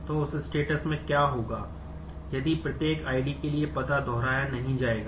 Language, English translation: Hindi, So, in that case what will happen if the for every ID the address will not be repeated